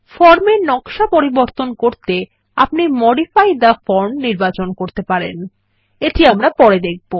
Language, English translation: Bengali, To change the form design, we can choose Modify the form, which we will see later